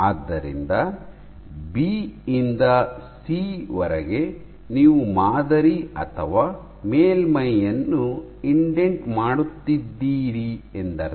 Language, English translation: Kannada, So, in B to C you are indenting the sample or surface